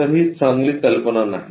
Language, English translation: Marathi, So, this is not a good idea